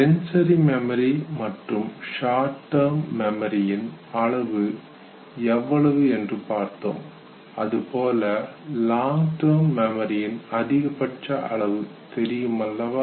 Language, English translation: Tamil, Now that we have discuss sensory and short term memory, we would now exclusively focus on long term memory